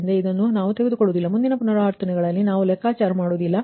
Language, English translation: Kannada, so this we will not touch, we will not compute in the next iterations